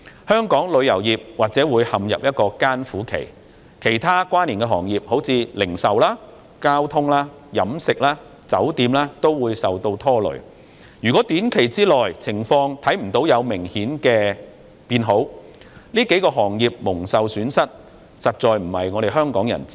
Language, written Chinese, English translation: Cantonese, 香港旅遊業或會陷入艱苦期，其他關連的行業，例如零售、交通、飲食、酒店等也會受拖累，如果在短期內未能看到情況有明顯改善，這數個行業蒙受損失，實在並非香港人之福。, Other related industries such as retail transport catering and hotel may also be implicated . If no obvious improvement can be seen within a short period and these several industries suffer losses it is really not good for Hongkongers . Deputy President the international political and economic situations are complicated and volatile